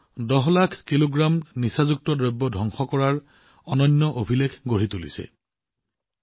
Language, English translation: Assamese, India has also created a unique record of destroying 10 lakh kg of drugs